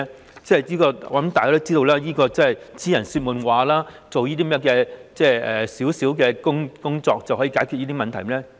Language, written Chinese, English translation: Cantonese, 我相信大家也知道，這只是癡人說夢話，做少許工作是絕對不能解決以上問題的。, I believe we all know that this is an idiots gibberish . Such minimal effort cannot solve the above problem